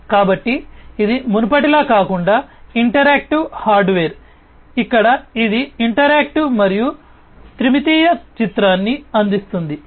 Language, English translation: Telugu, So, it is an interactive hardware unlike the previous one, here it is interactive and it offers a three realistic three dimensional image